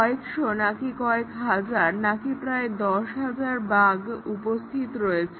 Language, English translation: Bengali, Is it thousands or is it tens of thousands of bugs there